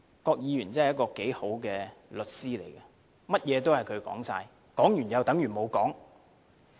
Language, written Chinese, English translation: Cantonese, 郭議員真的是一位好律師，甚麼都由他說，說了又等於沒說。, Mr KWOK is really a capable lawyer who can always justify himself with empty remarks